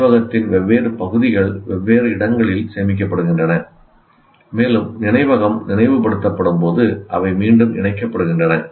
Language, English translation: Tamil, Different parts of the memory are stored in different sites, and they get reassembled when the memory is recalled